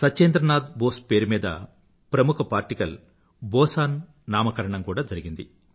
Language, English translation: Telugu, The famous particle BOSON has been named after Satyendranath Bose